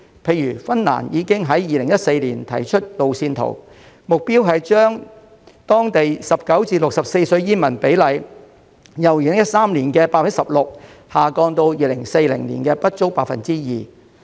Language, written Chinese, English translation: Cantonese, 例如芬蘭已於2014年提出路線圖，目標是把當地15至64歲的煙民比例，由2013年的 16% 下降至2040年的不足 2%。, For example Finland already provided a roadmap in 2014 with the objective of reducing the percentage of smokers aged 15 to 64 from 16 % in 2013 to less than 2 % in 2040